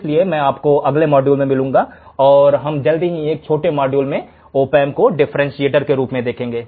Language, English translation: Hindi, So, I will see you in the next module, and we will see quickly a very short module which will show the opamp as a differentiator